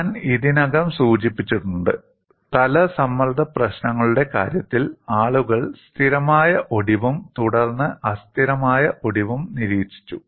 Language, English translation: Malayalam, I have already mentioned, in the case of plane stress problems, people have observed stable fracture followed by unstable fracture